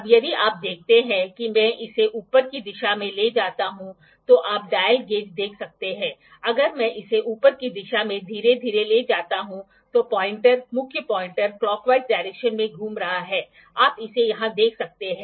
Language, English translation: Hindi, Now, if you see if I move it in the upward direction you can see the dial gauge, if I move it in the upward directions slowly the pointer the main pointer is rotating in the clockwise direction, you can see it here